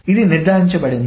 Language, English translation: Telugu, This is made sure